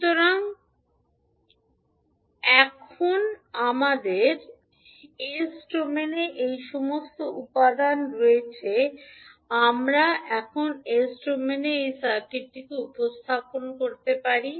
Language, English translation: Bengali, So now we have all these elements in s domain we can represent this circuit in s domain now